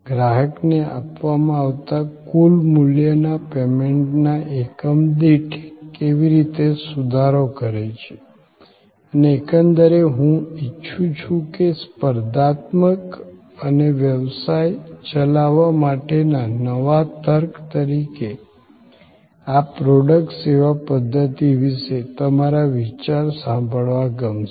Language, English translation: Gujarati, How it improves the total value provided to the customer per unit of payment and on the whole, I would like your thoughts to hear from you about this product service system as a new logic for competitiveness and for conducting business